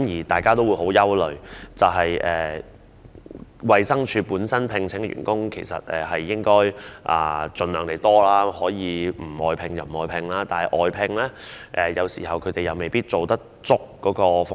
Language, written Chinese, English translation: Cantonese, 大家也很擔憂，因為由衞生署聘請的員工人數其實應該盡量多一些，盡量不要外判，而且外判員工有時候未必能夠提供足夠的服務。, We feel concerned because DH should as far as possible hire more staff and try not to outsource its work . Moreover sometimes outsourced workers may not be able to provide sufficient services